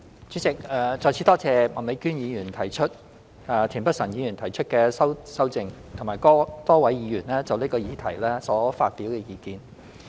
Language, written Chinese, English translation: Cantonese, 主席，再次多謝麥美娟議員提出原議案及田北辰議員提出修正案，以及多位議員就此議題所發表的意見。, Once again President I would like to extend my thanks to Ms Alice MAK and Mr Michael TIEN for proposing respectively the original motion and the amendment and I am so grateful to the various Members who have given their views on the subject in question